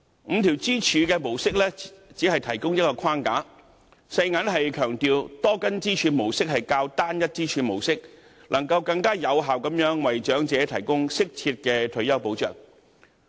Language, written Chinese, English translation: Cantonese, 五根支柱模式只是提供一個框架，世界銀行強調多根支柱模式會較單一支柱模式更能有效地為長者提供適切退休保障。, The five - pillar model only aims at providing a framework . The World Bank stressed that a multiple - pillar model is more effective than any single - pillar approach in ensuring retirement protection for the elderly